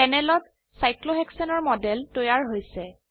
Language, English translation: Assamese, A model of cyclohexane is created on the panel